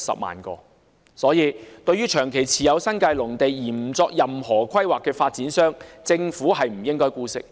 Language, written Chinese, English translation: Cantonese, 因此，對於長期持有新界農地而不作任何規劃的發展商，政府不應該姑息。, Therefore the Government should no longer tolerate long - term holding of agricultural land in the New Territories for which the developers have not any planning